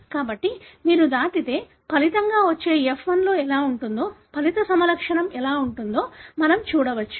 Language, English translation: Telugu, So, if you cross we can see what would be the resulting F1, what would be the resulting phenotype